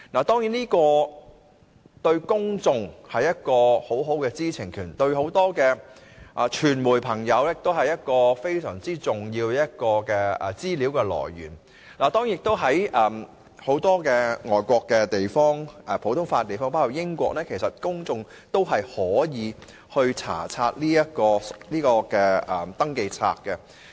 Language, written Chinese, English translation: Cantonese, 當然，這對公眾來說可以滿足他們的知情權，而對傳媒來說亦是非常重要的資料來源，畢竟在外國很多實行普通法的地方，包括英國，公眾都可以查閱登記冊。, This can of course satisfy the publics right to know and is also a very important source of information for the media . After all in many foreign jurisdictions where common law is practised including the United Kingdom the public is allowed to inspect SCRs